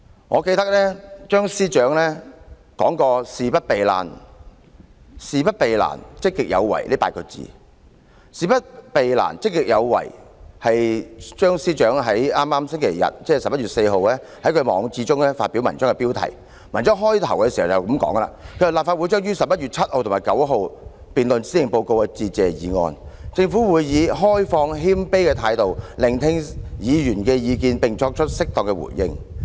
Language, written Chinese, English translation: Cantonese, 我記得張司長說過"事不避難，積極有為"這8個字，這是張司長在11月4日星期日在網誌中發表文章的標題；文章起始部分是這樣寫的："立法會將於11月7日至11月9日辯論施政報告的致謝議案，政府會以開放謙卑的態度，聆聽議員的意見，並作出適當的回應。, I remember that Chief Secretary CHEUNG has mentioned the words avoiding no difficulty and proactive style of governance which form the title of his blog article on Sunday 4 November . It begins like this The Legislative Council will debate the Motion of Thanks for the Policy Address from 7 to 9 November and the Government will listen to Members views in an open and humble manner and respond appropriately